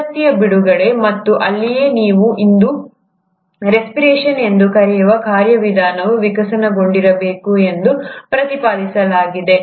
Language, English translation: Kannada, The release of energy, and that is where it is postulated that the mechanism of what you call today as respiration must have evolved